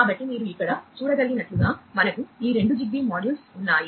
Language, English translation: Telugu, So, as you can see over here we have these two ZigBee modules